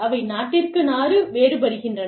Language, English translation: Tamil, They vary from, country to country